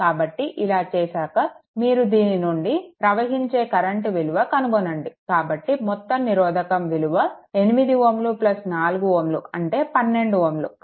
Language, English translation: Telugu, So, if you do so, then current flowing through this you find out; so, total resistance here it is 8 ohm, here it is 4 ohm 12 ohm